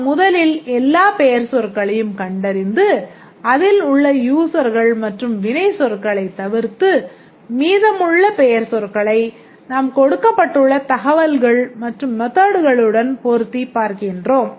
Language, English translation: Tamil, And also we look at the nouns first eliminate the users and passive verbs and then we look at the nouns and try to associate some data and methods